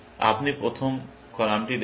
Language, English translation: Bengali, You are looking at the first column